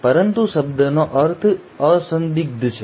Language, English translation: Gujarati, But a meaning of the word is unambiguous